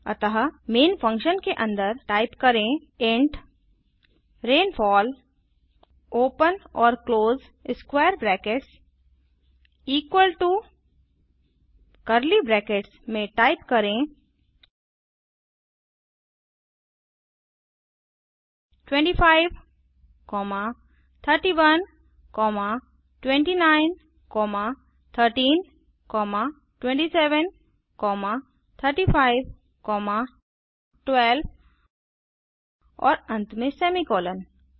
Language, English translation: Hindi, So Inside main function, type int rainfall open and close brackets equal to within curly brackets type 25, 31, 29, 13, 27, 35, 12 and finally a semicolon